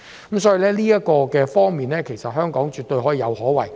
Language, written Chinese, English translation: Cantonese, 由此可見，香港在這方面絕對可以有所作為。, From this we can see that Hong Kong can make some achievements in this aspect